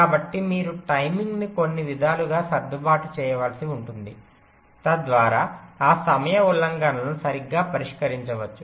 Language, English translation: Telugu, so you may have to adjust the timing in some in some way so that those timing violations are addressed right